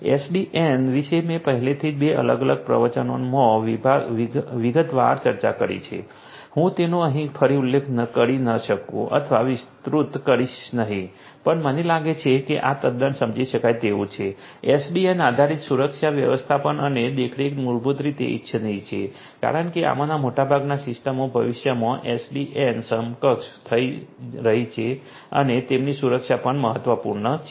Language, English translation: Gujarati, SDN is something that I have already discussed in detail in two different lectures I am not going to mention or elaborate it further over here, but I think this is quite understandable, SDN based security management and monitoring is basically what is desirable because most of these systems are going to be in the future SDN enabled and their security is also of importance